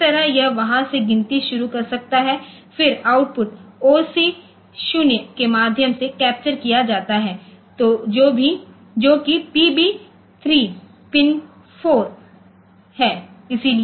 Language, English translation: Hindi, So, that way it can start counting from there then output is captured through OC0 that is PB 3 pin 4